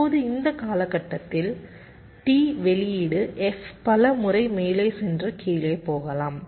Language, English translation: Tamil, right now, within this time period t, the output f may be going up and going down several times